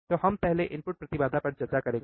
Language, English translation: Hindi, So, we will we understand what is input impedance, right